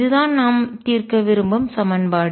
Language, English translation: Tamil, And this is the equation we want to solve